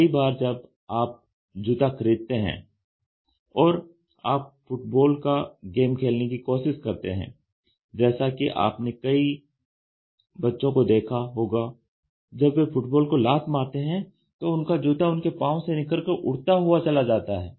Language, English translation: Hindi, Many a times when you buy shoe and when you are trying to play games football, you can see some of the child children, When they are kicking, their shoe the football the shoe just flies off